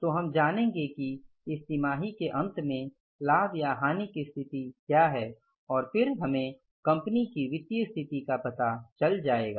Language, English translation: Hindi, So finally we will know that what is the state of profit or loss at the end of this quarter and then we will know the financial position of the company